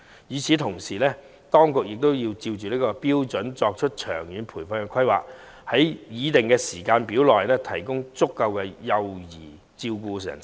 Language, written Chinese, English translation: Cantonese, 與此同時，當局須按此標準作出長遠的培訓規劃，按擬定的時間表提供足夠幼兒照顧人手。, Meanwhile the authorities must draw up long - term training programmes accordingly and provide adequate child care manpower in accordance with the proposed schedule